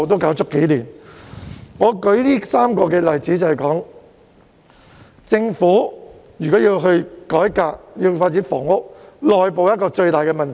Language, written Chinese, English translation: Cantonese, 我之所以舉出這3個例子，是要說明政府如果要改革，要發展房屋，內部協調是一大問題。, The reason why I give these three examples is to illustrate that internal coordination is a major problem if the Government is to reform and develop housing